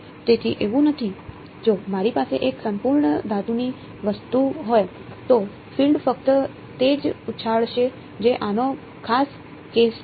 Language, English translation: Gujarati, So, it is not, if I had a perfect metallic say object, then the field will only bounce of that is a special case of this